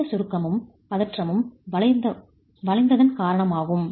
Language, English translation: Tamil, The compression and tension is because of the bending itself